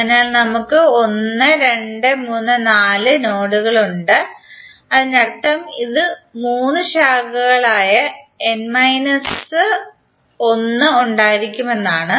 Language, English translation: Malayalam, So we have 1,2,3,4 nodes, it means that it will have n minus one that is three branches